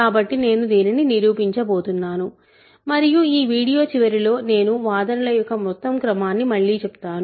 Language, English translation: Telugu, So, I am going to prove this and then I will at the end of this video, I will revise the whole sequence of arguments